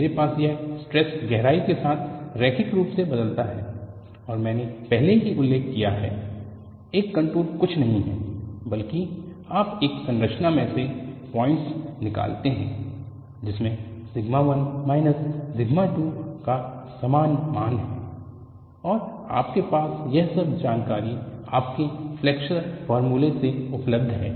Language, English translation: Hindi, I have this stress varies linearly over the depth and I have already mentioned, a contour is nothing but you pick out points in this structure which has the same value of sigma 1 minus sigma 2, and you have all that information available from your flexure formula